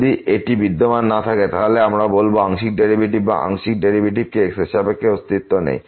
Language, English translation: Bengali, If it does not exist, we will call the partial derivatives or partial derivative with respect to does not exist